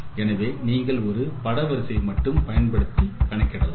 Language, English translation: Tamil, So, so you can compute using only one image array itself